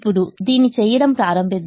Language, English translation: Telugu, now let us start doing this